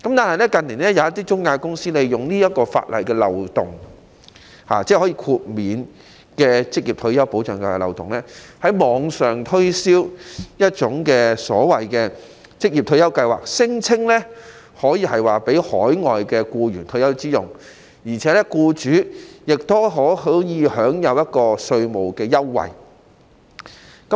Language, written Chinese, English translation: Cantonese, 可是，有些中介公司近年利用可獲豁免的法律漏洞，在網上推銷所謂的"職業退休計劃"，聲稱可以讓海外僱員作退休之用，而僱主亦可以享有稅務優惠。, However in recent years some intermediaries have exploited the loophole in the law concerning exemption and promoted the so - called OR Schemes on the Internet claiming that the schemes are intended for retirement purpose of overseas employees and that employers can enjoy tax concessions